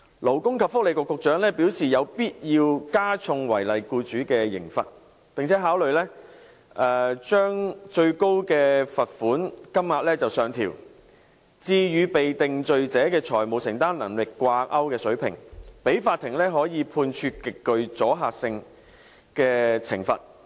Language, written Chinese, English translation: Cantonese, 勞工及福利局局長表示有必要加重違例僱主的刑罰，並且考慮將最高罰款金額上調至與被定罪者的財務承擔能力掛鈎的水平，讓法庭可以判處極具阻嚇性的懲罰。, The authorities must impose heavier penalties on law - breaking employers . According to the Secretary for Labour and Welfare it is necessary to increase the penalties on law - breaking employers and consideration will be given to raising the maximum fine to a level pegged to the financial affordability of a convicted person so as to enable the Court to impose a penalty with extremely high deterrence